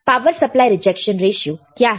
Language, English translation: Hindi, What is common mode rejection ratio